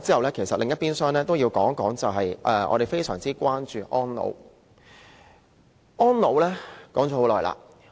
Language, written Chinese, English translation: Cantonese, 說完房屋，另一邊廂要談的是我們非常關注的安老問題。, Apart from housing what I have to discuss on the other hand is elderly care which is a grave concern to me